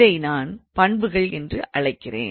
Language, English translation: Tamil, So, I would call them as properties